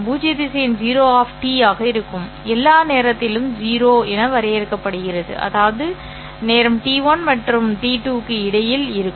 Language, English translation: Tamil, Null vector will be 0 of T, which is defined as 0 for all time T such that time T is between T1 and T2